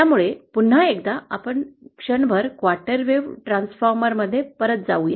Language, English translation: Marathi, So once again, let’s go back to the quarter wave transformer for a moment